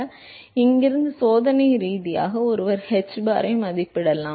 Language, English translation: Tamil, So, from here experimentally, one could estimate hbar